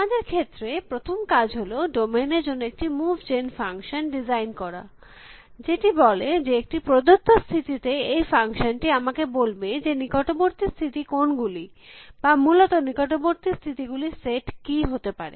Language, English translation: Bengali, In our case, the first thing is to design a move gen function for the domain, which says that given a state, this function should tell me, what the neighboring states are or should a turn the set of neighboring states to be essentially